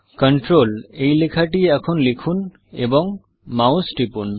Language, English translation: Bengali, Let us now type the text Control and click the mouse